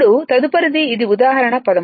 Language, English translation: Telugu, Now, next one is that this is the example 13